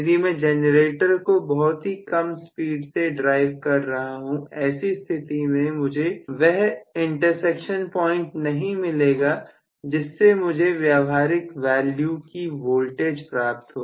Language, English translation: Hindi, If I am driving the generator at a very very low speed, then also the intersection point will not be really good enough for me to get any perceivable voltage